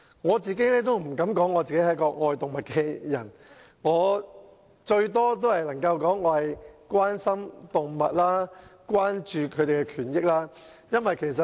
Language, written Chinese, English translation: Cantonese, 我不敢說我是愛動物的人，我最多只能說我關心動物和關注牠們的權益。, I would not call myself an animal lover . The best I can say is that I care about animals and I am concerned about their rights